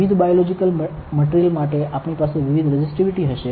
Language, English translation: Gujarati, So, for different biological material, we will have different resistivity